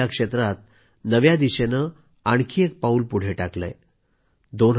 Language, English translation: Marathi, The country has taken another step towards this goal